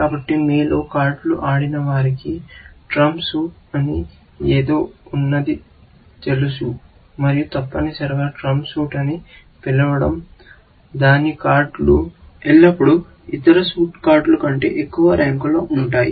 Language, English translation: Telugu, So, those of you have played cards, would know that there is something called a trump suit, and essentially, the effect of calling a suit, a trump suit is that its cards are always, higher than other suit cards